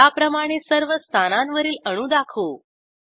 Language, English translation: Marathi, Lets display atoms on all positions